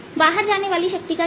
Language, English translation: Hindi, what will be the power going out